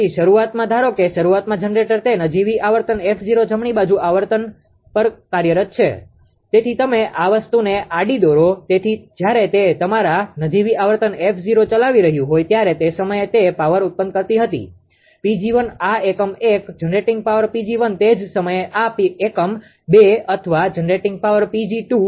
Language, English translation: Gujarati, So, initially suppose initially the generator it was operating at a nominal frequency f 0 right frequency; so you draw horizontal line this thing therefore, when it is operating a your ah at nominal frequency f 0 at that time it was generating power P g 1 this unit 1 generating power P g 1 at the same time this unit 2 or generating power P g 2